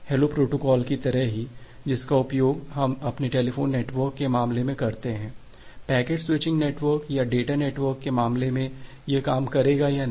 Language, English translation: Hindi, Just like the hello protocol that we use in case of our telephone network, whether that will work in the case of packet switching network or data network or not